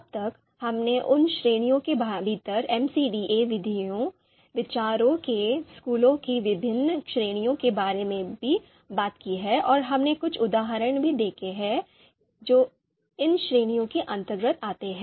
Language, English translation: Hindi, So till now, we have talked about different categories of MCDA methods, schools of thoughts within those categories and we have also seen a few of the examples that a few of the examples of methods which come under these categories